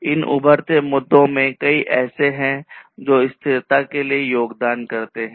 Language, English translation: Hindi, So, emerging issues are there; there are many of these emerging issues which contribute to such sustainability